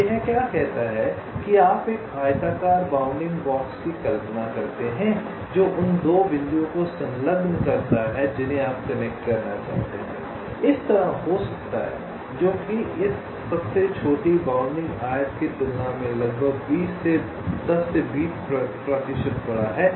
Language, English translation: Hindi, so what it says is that you imaging a rectangular bounding box which encloses the two points that you want to connect may be like this, which is, say, approximately ten to twenty percent larger than this smallest bounding rectangle